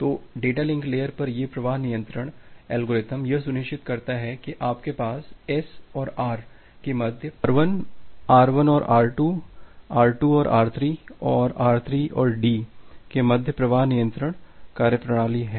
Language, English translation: Hindi, So, these flow control algorithm at the data link layer, it ensures that you have flow control mechanism between S and R R1 between R1 and R2 between R2 and R3 and between R3 and the D